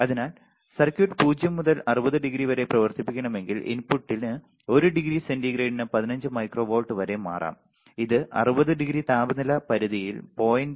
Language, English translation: Malayalam, So, if the circuit has to be operated from 0 to 16 degree the input could change by 15 micro volts per degree centigrade in to 60 degree which is 0